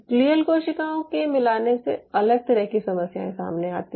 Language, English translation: Hindi, the addition of glial cells brings a different set of problems